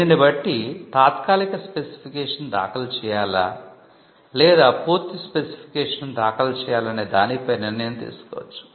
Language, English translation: Telugu, Then they could be a call taken on whether to file a provisional specification or a complete specification